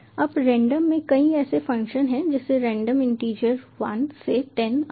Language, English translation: Hindi, now the random has many such functions as random integer one to ten and so on